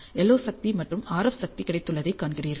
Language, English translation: Tamil, And you also see that the LO power and the RF power that is available